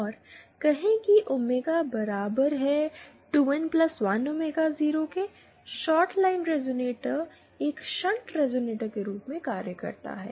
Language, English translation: Hindi, And say for omega equal to 2 N +1 omega 0, the shorted line resonator acts as a shunt resonator